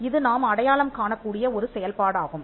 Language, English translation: Tamil, This is one of the functions that we identified